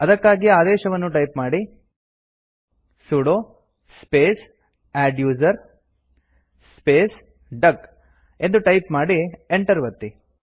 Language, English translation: Kannada, Type the command#160: sudo space adduser space duck, and press Enter